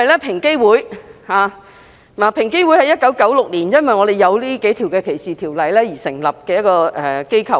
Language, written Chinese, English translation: Cantonese, 平機會是在1996年因為我們有這數項反歧視條例而成立的機構。, EOC was established in 1996 because of these anti - discrimination ordinances